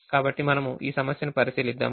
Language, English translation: Telugu, so we look at this problem